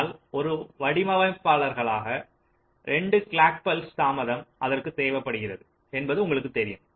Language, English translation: Tamil, but as a designer you know that this will require a two clock cycle delay